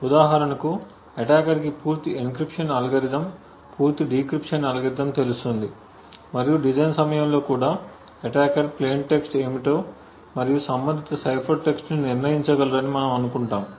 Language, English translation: Telugu, For instance, attacker would know the entire encryption algorithm the entire decryption algorithm and we also assume at the design time the attacker would be able to determine what the plain text is and the corresponding cipher text